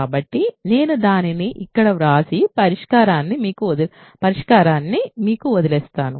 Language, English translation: Telugu, So, I will write it down here and leave most of the solution to you